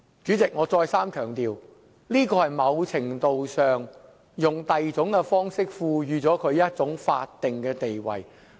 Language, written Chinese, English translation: Cantonese, 主席，我再三強調，這是在某程度上利用另一種方式，賦予同性婚姻一種法定地位。, Chairman I stress again that it is in some measure granting some sort of a statutory status to same - sex marriage by other means